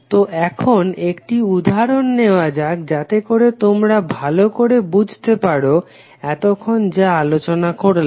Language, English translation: Bengali, So now let us take one example quickly so that you can understand what we discussed till now